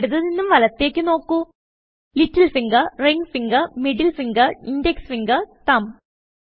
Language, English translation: Malayalam, Fingers, from left to right, are named: Little finger, Ring finger, Middle finger, Index finger and Thumb